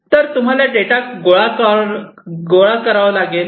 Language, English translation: Marathi, So, you have to collect the data